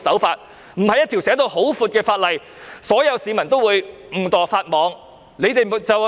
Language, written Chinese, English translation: Cantonese, 法例的定義籠統，所有市民都會誤墮法網。, As the definitions in the law are vague all members of the public will likely break the law inadvertently